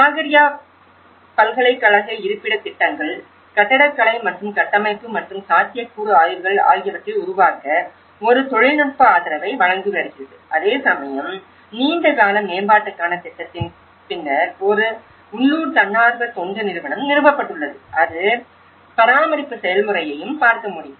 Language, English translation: Tamil, And university of the Sakarya University is providing a technical support to develop the location plans, architectural and structural and also the feasibility studies whereas, a local NGO has been established for after the project for long term development and also who also can look at the maintenance process of it so, this is where the communities have actually participated in this process